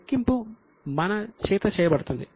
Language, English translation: Telugu, The calculation is done by us